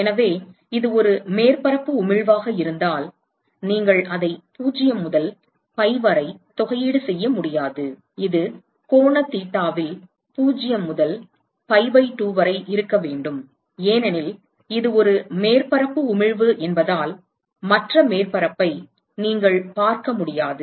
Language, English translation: Tamil, So, in this case if it is a surface emission you cannot integrate it with 0 to pi, it has to be 0 to pi by 2 on the angle theta because it is a surface emission you cannot see the other surface you cannot see the other side of the surface it is only seeing the top side